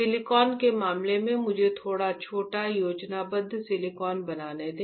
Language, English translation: Hindi, In case of silicon, let me draw little bit smaller schematic, silicon